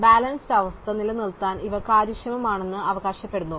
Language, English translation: Malayalam, We claim that these were efficient that we could maintain balance